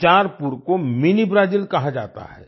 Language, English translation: Hindi, Bicharpur is called Mini Brazil